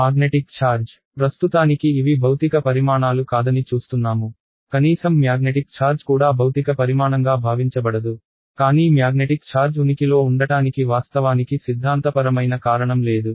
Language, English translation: Telugu, Magnetic charge ok; now as of now we say that these are not physical quantities ok, at least magnetic charge is not supposed to be a physical quantity, but there is actually no theoretical reason why magnetic charge does not exist